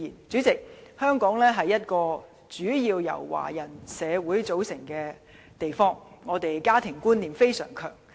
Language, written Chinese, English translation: Cantonese, 主席，香港是一個主要由華人組成的社會，家庭觀念相當強。, President the population of Hong Kong is predominantly Chinese and the concept of family is very strong